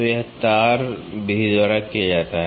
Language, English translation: Hindi, So, this is done by 2 wire method